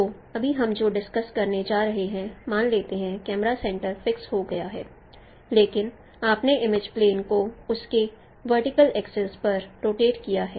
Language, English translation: Hindi, So right now what we are going to discuss suppose the camera center is fixed but you have rotated the image plane about its vertical axis